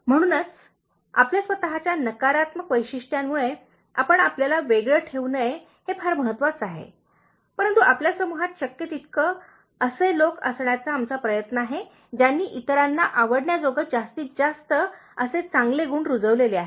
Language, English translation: Marathi, So, it is very important that we don’t isolate us, because of our own negative traits, but we try to have people in our group as much as possible by cultivating good traits which are likeable for others